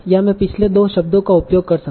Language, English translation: Hindi, So or I can use the previous two words